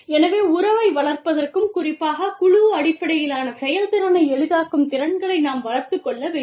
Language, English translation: Tamil, So, we need to develop skills, that facilitate relationship building, and specifically, team based effectiveness